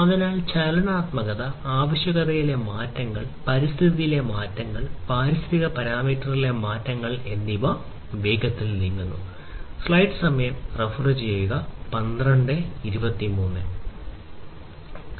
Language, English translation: Malayalam, So, moving very fast in terms of changes the dynamism, changes in the requirements, changes in the environment, changes in the environmental parameters, and so on